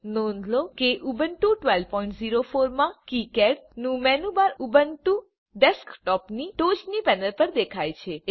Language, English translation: Gujarati, Note that in Ubuntu 12.04, the menu bar of KiCad appears on the top panel of Ubuntu desktop